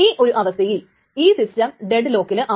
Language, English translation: Malayalam, So, at this point, the system is deadlock